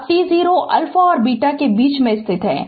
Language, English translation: Hindi, Now t 0 is lying in between alpha and beta